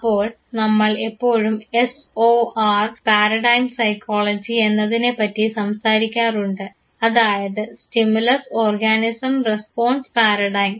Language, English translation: Malayalam, So, we always talk of SOR paradigm psychology, the stimulus organism response paradigm